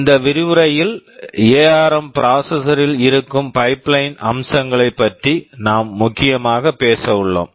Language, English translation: Tamil, In this lecture, we shall be mainly talking about the pipeline features that are present in the ARM processor